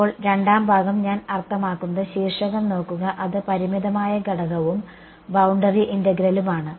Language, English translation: Malayalam, Now the second part is I mean look at the title is finite element and boundary integral